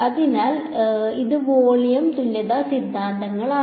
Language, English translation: Malayalam, So, this was the volume equivalence theorems